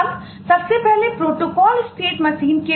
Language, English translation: Hindi, first about protocol state machine